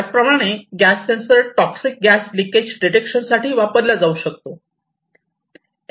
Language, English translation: Marathi, Likewise, it could be used this sensors could be used for leakage detection of toxic gases